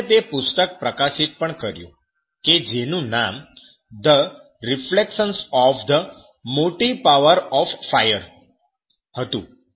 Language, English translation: Gujarati, And he published that books what was the name was that the reflections on the motive power of fire